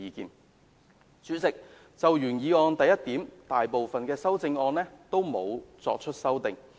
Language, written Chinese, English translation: Cantonese, 代理主席，就原議案的第一部分，大部分修正案也沒有作出修正。, Deputy President part 1 of the original motion remains largely intact as most of the movers of amendments have not moved amendments to that part